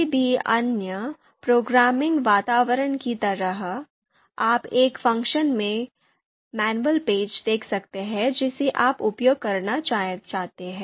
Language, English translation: Hindi, So just like any other you know programming environment, you would like to see the manual pages of any function that you would like to use